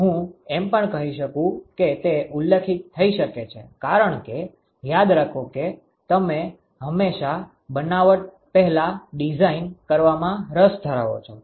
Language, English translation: Gujarati, I may even say that may be specified because remember that you are always interested in designing before fabrication